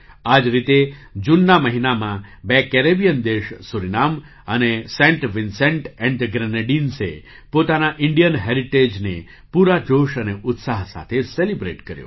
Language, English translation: Gujarati, Similarly, in the month of June, two Caribbean countries Suriname and Saint Vincent and the Grenadines celebrated their Indian heritage with full zeal and enthusiasm